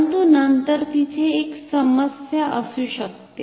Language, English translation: Marathi, But, then there can be a problem